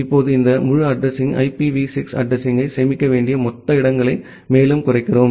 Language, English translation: Tamil, Now this entire address we further reduce the total spaces, that is required to store an IPv6 address